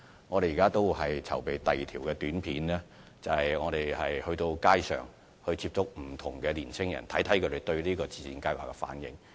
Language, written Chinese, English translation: Cantonese, 我們正在籌備拍攝第二輯短片，藉此在街上接觸不同的年青人，希望知道他們對自薦計劃的反應。, We are preparing to film a second API with a view to approaching different young people on the streets to find out more about their response to the scheme . The second API will be launched shortly